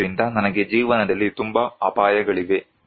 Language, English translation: Kannada, So, I have so many risks in life